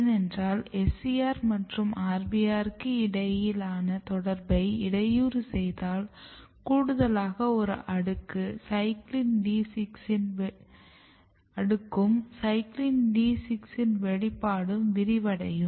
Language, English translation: Tamil, Because when you disrupt this interaction between SCR and RBR what you see that, there is a extra layer and more important that expression of CYCLIN D6 expands